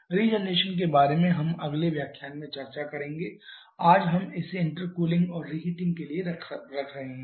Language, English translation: Hindi, Regeneration we shall be discussing in the next lecture today we are keeping it up to intercooling and reheating